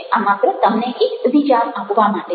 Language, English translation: Gujarati, this just to give an idea